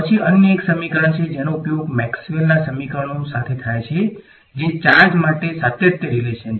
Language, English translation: Gujarati, Then there is another equation which is used alongside Maxwell’s equations which is the continuity relation for charge